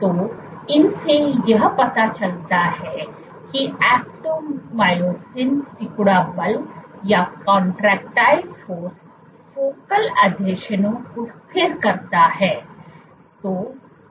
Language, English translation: Hindi, So, all these kinds of suggests that force, actomyosin contractile force is stabilizing the focal adhesions